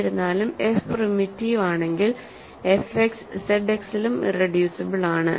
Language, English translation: Malayalam, However, if we also know that if f is primitive, if further f is primitive then f X is irreducible in Z X also, ok